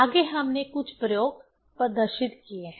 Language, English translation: Hindi, Next we have demonstrated few experiments